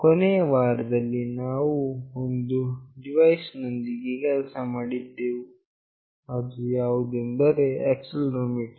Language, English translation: Kannada, In the final week, we have been working with one of the device that is accelerometer